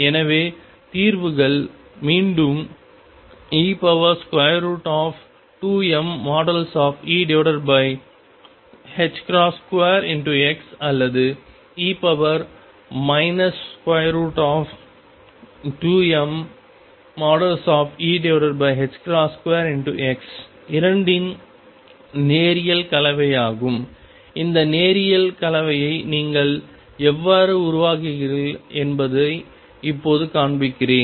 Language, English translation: Tamil, So, solutions again are e raise to 2 m mod e over h cross square square root x or e raise to minus square root of 2 m mod E over h cross square x or a linear combination of the 2 now let me show you how you form this linear combination